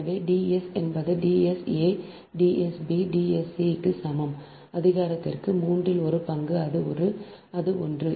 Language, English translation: Tamil, therefore d s is equal to the d s a, d s, b, d s, c to the power, one third, that is this one is this one